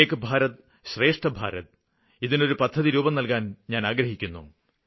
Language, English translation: Malayalam, I want to give "Ek Bharat Shreshtha Bharat" One India, Best India the form of a specific scheme